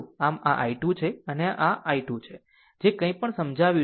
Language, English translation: Gujarati, So, this is your i 2 and this is your i 3, whatever we have explain